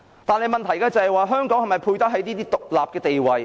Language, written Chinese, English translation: Cantonese, 但是，問題是香港是否配得起這個獨特地位？, The question remains Does Hong Kong still live up to its unique status?